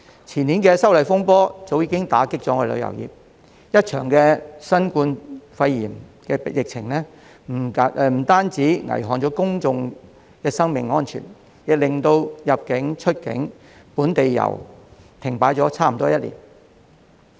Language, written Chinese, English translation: Cantonese, 前年的修例風波早已打擊旅遊業，一場新冠肺炎疫情不單危害公眾生命安全，更令入境、出境及本地遊停擺差不多1年。, The disturbances arising from the opposition to the proposed legislative amendments in the year before last already dealt a blow to the tourism industry . The COVID - 19 pandemic apart from threatening peoples lives and safety has halted inbound and outbound travel as well as local tours for almost one year